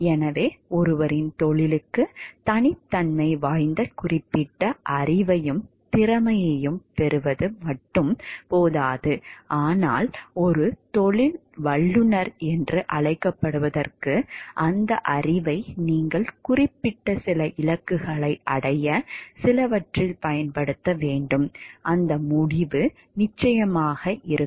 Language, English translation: Tamil, So, it is not enough to acquire particular knowledge and skill, which are like peculiar to ones profession, but in order to be termed as a professional you need to apply those knowledge to certain to achieve certain ends and, that end is of course, the well being of others